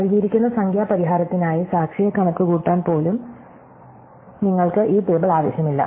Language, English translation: Malayalam, So, you do not need this table at all even to compute back the witness for the given numerical solution